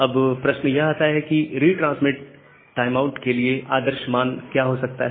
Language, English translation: Hindi, Now, the question comes that what can be an ideal value for this retransmit timeout